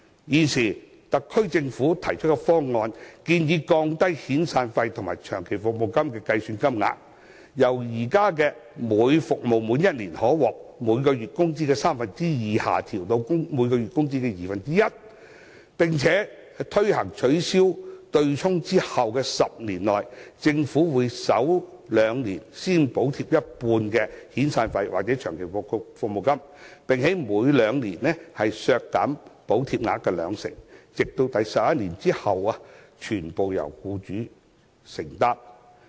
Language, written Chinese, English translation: Cantonese, 現時特區政府提出方案，建議降低遣散費及長期服務金的水平，由現行每服務滿1年可獲每月工資的三分之二，下調至每月工資的二分之一；並且，在推行取消對沖後的10年內，政府會在首兩年先補貼一半的遣散費或長期服務金，並每兩年削減補貼額兩成，直至在第十一年起，全部由僱主承擔。, The Government now proposes to adjust downwards the level of severance payment or long service payment payable from the existing entitlement of two thirds of one months wages to half a months wages as compensation for each year of service; and in the 10 years after the implementation of the abolition the Government will share half of the expenses on severance payments or long service payments in the first two years with a 20 % subsidy cut every two subsequent years until the eleventh year when employers will have to shoulder all the such payments